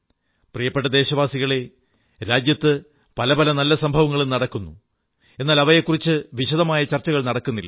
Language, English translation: Malayalam, My dear countrymen, there are many good events happening in the country, which are not widely discussed